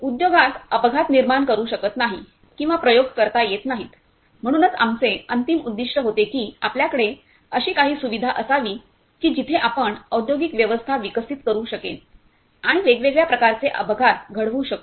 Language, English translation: Marathi, As accident cannot be created or experimented in industry, so our ultimate aim was that whether we should have some kind of facility where we can develop the industrial system and also create the different kind of accidents